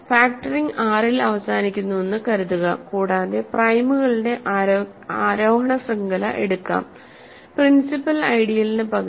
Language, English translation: Malayalam, Suppose factoring terminates in R and let us take an ascending chain of primes, principal ideals rather